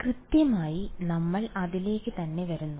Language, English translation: Malayalam, Exactly ok, so, we are coming exactly to that